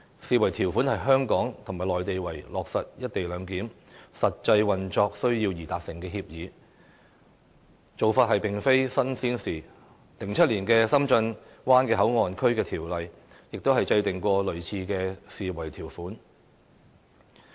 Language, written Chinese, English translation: Cantonese, 這項條款是香港及內地為了落實"一地兩檢"實際運作需要而達成的協議，這做法並非甚麼新鮮事 ，2007 年《深圳灣口岸港方口岸區條例》也有類似的條款。, This is an agreement between Hong Kong and the Mainland to meet the practical need for the implementation of the co - location arrangement . Such an approach is nothing new as there are similar provisions in the Shenzhen Bay Port Hong Kong Port Area Ordinance enacted in 2007